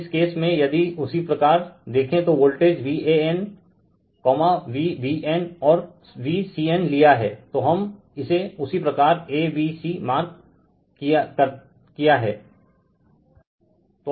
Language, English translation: Hindi, So, in this case if you look into that that voltage V a n, V b n, and V c n is taken